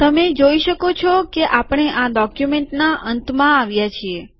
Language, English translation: Gujarati, You can see that we have come to the end of this document